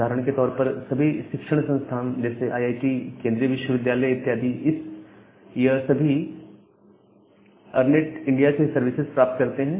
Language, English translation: Hindi, So, for example, all the educational institutes like all the IITs the central universities, they get the service from this ERNET India